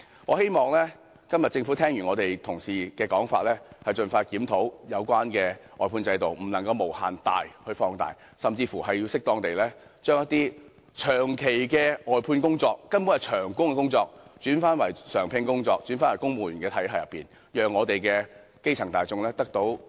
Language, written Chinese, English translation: Cantonese, 我希望今天政府聽罷我們同事的發言後，會盡快檢討有關外判制度，不能將其無限放大，甚至應適當地將一些長期外判、根本屬長工的工作轉為常聘工種，重返公務員體系，讓我們的基層大眾得以分享經濟成果。, I hope that after listening to what Honourable colleagues have said today the Government will expeditiously review such an outsourcing system . Instead of having the system expanded incessantly those positions outsourced on a long - term basis which are essentially permanent in nature should again be appropriately regularized in the civil service establishment thus enabling our grass roots to share the fruits of economic success